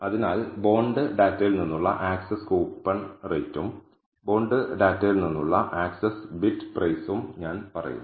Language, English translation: Malayalam, So, I say access coupon rate from the bonds data and access bid price from the bonds data